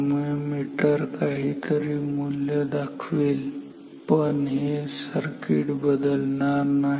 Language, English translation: Marathi, So, meter will indicate some value, but this circuit is not disturb